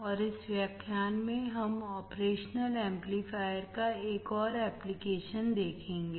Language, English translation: Hindi, And in this lecture, we will see another application of operational amplifier